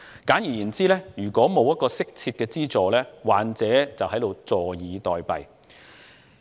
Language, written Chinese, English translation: Cantonese, 簡言之，若然沒有適切的資助，患者便會坐以待斃。, In brief without appropriate subsidies the patients will resign themself to death